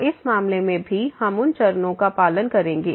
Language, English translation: Hindi, So, in this case also we will follow those steps